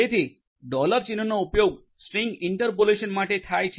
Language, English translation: Gujarati, So, dollar sign is used for string interpolation